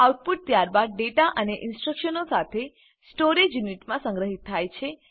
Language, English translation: Gujarati, The output is then stored along with the data and instructions in the storage unit